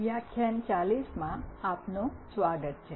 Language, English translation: Gujarati, Welcome to lecture 40